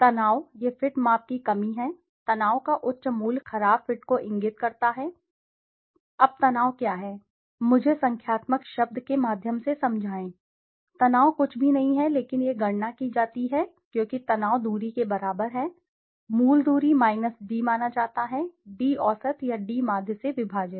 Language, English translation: Hindi, Stress, this is the lack of fit measure, higher value of stress indicate poor fits, now what is the stress, let me explain through numerical term, stress is nothing but it is calculated as stress is equal to distance, original distance minus d perceived divided by d average or d mean